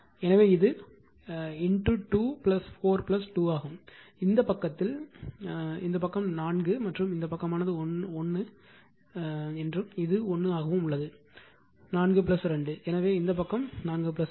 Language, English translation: Tamil, So, this is actually your into 2 plus 4 plus 2, where in this side this side this side it is 4 and this side is for your what you call this side it is 1 and this is also 1 so, 4 plus 2 so, this side actually 4 plus 2